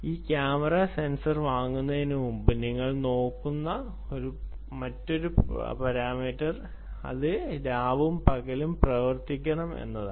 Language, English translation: Malayalam, the other parameter that you will be looking at before you buy this camera sensor is it should work day and night, day and night